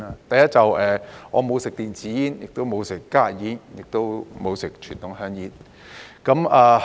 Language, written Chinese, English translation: Cantonese, 第一，我沒有吸食電子煙，也沒有吸食加熱煙，亦沒有吸食傳統香煙。, First I am not a user of electronic cigarettes and heated tobacco products HTPs nor am I a user of conventional cigarettes